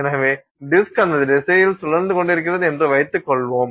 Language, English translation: Tamil, So, let's assume that the disk was rotating in that direction, right